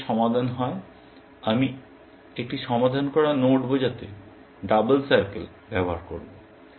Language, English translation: Bengali, If this is solved; I will use double circle to denote a solved node